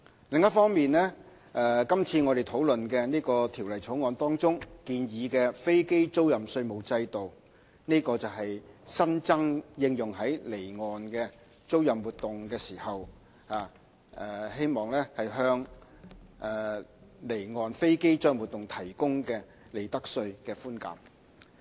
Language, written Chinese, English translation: Cantonese, 另一方面，今次討論的《條例草案》中建議的飛機租賃稅務制度，是新增的，應用於離岸租賃活動，希望向離岸飛機租賃活動提供利得稅寬減。, On the other hand the proposed tax regime for aircraft leasing under the Bill presently under discussion is a new addition applicable to offshore leasing activities . It aims at providing profits tax concessions to offshore aircraft leasing activities